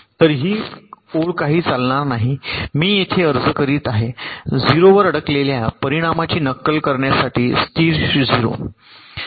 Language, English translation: Marathi, so this line is going noway and here i am applying a constant zero to simulate the effect of stuck at zero